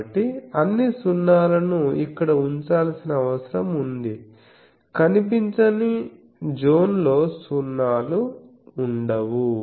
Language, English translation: Telugu, So, all the 0s need to be placed here in the nonvisible zone, no visible the 0s will be placed ok